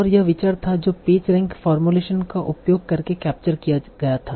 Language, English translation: Hindi, And that was the idea that was captured by using the page rank formulation